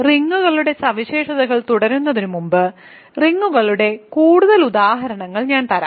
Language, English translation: Malayalam, So, before continuing with the properties of rings so, let me just give you more examples of rings